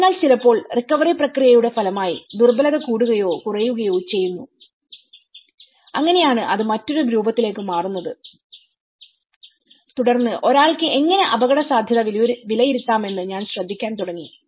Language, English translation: Malayalam, So sometimes, the vulnerability gets increased or decreased as a result of the recovery process, so that is where it takes into a different form, then I started looking at how one can assess the vulnerability